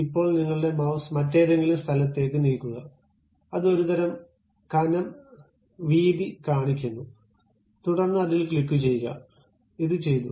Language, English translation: Malayalam, Now, just move your mouse to some other location it shows some kind of thickness width, then click, then this is done